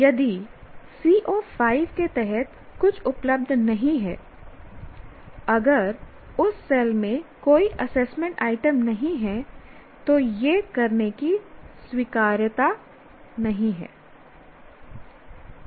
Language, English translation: Hindi, If something is not at all available under CO5, in the cell CO5, if there are no assessment items in that cell, then it is not an acceptable way of doing